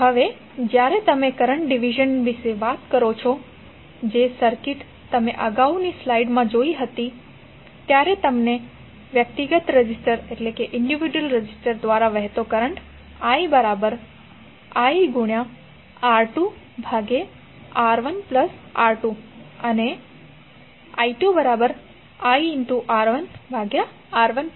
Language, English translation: Gujarati, Now when you talk about the current division, the circuit which you saw in the previous slide, that is, in this figure if you apply current division, you will get the current flowing through the individual resistors which are expressed like i1 is equal to iR2 upon R1 plus R2 and i2 is equal to iR1 upon R1 plus R2